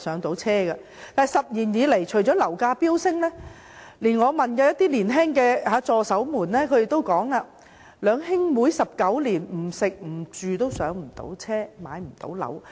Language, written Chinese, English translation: Cantonese, 但是 ，10 年以來，樓價不斷飆升，我問年輕的助手，他們也表示，兩兄妹19年不吃不住也無法"上車"。, Nevertheless property prices have been soaring unceasingly in these 10 years . I asked my young assistant about his situation . He told me that even if he and his sister did not spend any money on food and rent for 19 years they still could not buy their own homes